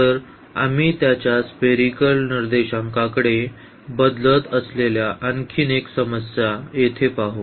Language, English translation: Marathi, So, we check another problem here changing to his spherical coordinates